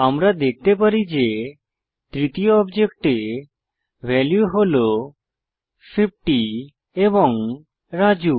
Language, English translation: Bengali, We can see that the third object contains the values 50 and Raju